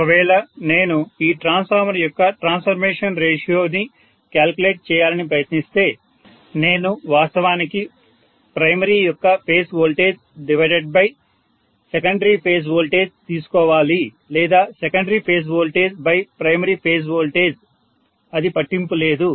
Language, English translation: Telugu, So if I try to calculate the transformation ratio for this transformer I have to take actually v phase of primary divided by the v phase of secondary or vice versa, v phase of secondary divided by v phase of primary it doesn’t matter